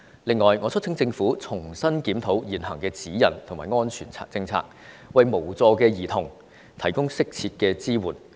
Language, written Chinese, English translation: Cantonese, 此外，我促請政府重新檢討現行的指引和安全網政策，為無助的兒童提供適切的支援。, Moreover I urge the Government to re - examine the existing guidelines and safety net policy to provide appropriate support to helpless children